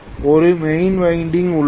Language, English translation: Tamil, There is a main winding